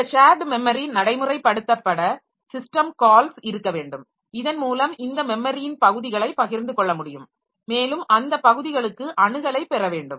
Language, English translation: Tamil, So, for the shared memory realization we should, there should be system calls by which we can create this memory regions to be shared and we should gain access to those regions